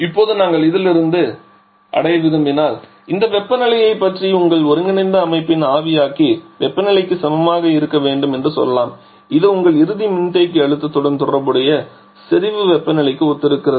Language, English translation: Tamil, Now if we want to reach from this let us say talk about this temperature to be equal to your evaporator temperature of the combined system and this corresponds to the saturation temperature corresponding to your final condenser pressure